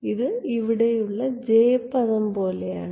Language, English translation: Malayalam, This is exactly like the j term over here